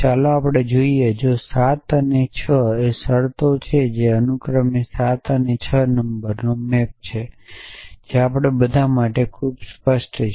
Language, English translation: Gujarati, Let us see and if 7 and 6 are terms which map to respectively number 7 and 6 so which is off course very obvious for all of us